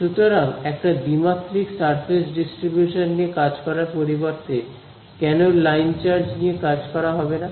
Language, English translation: Bengali, So, instead of dealing with a 2 dimensional surface distribution why not I deal with just a line charge